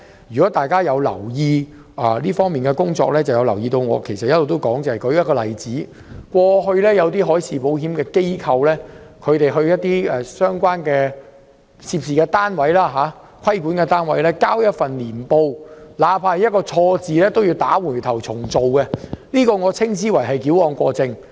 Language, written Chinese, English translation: Cantonese, 如果大家有留意這方面的事宜，便會知道我一直有提出有關問題，例如過去有些海事保險機構向相關規管單位提交年報，縱使只有一個錯字，亦要打回頭重做，我稱之為矯枉過正。, If Members have paid attention to this matter they will know that I have been raising questions in this regard . For example in the past when some marine insurance institutions submitted annual reports to the relevant regulatory authorities the reports were returned and required to be redone even if there was just one typo . I call this an over - kill